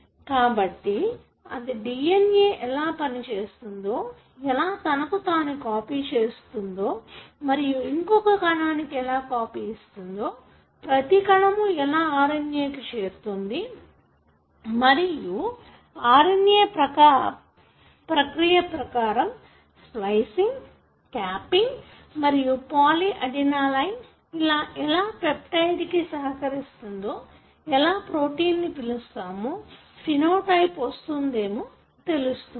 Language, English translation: Telugu, So, that pretty much explains as to how a DNA which copies itself to give a copy of it to every cell that is being used to make an RNA and how RNA, after all the processing that you spoke about like splicing, capping and polyadenylation, how that helps in making the peptide which you call as a protein and which gives the phenotype